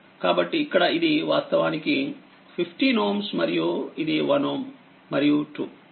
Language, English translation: Telugu, So, here it is actually 15 ohm right and this is 1 2